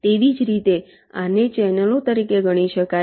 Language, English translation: Gujarati, similarly, this can be regarded as channels